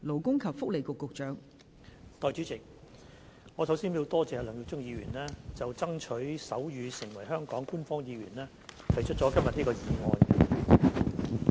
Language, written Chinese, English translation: Cantonese, 代理主席，首先，我感謝梁耀忠議員就"爭取手語成為香港官方語言"提出今天這項議案。, Deputy President first of all I wish to thank Mr LEUNG Yiu - chung for moving this motion on Striving to make sign language an official language of Hong Kong